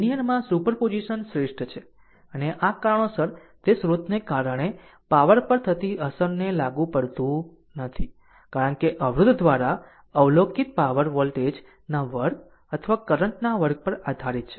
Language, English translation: Gujarati, Superposition is best on linearity and the and this reason it is not applicable to the effect on power due to the source, because the power observed by resistor depends on the square of the voltage or the square of the current